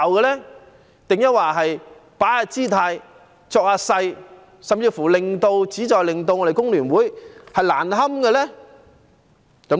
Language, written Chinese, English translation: Cantonese, 抑或有人只是擺擺姿態、裝模作樣，甚至旨在令工聯會難堪呢？, Or is it that some people are pretentiously making a posture or even intending to embarrass FTU?